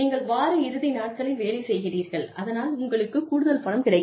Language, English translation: Tamil, You work on a week end, you get extra money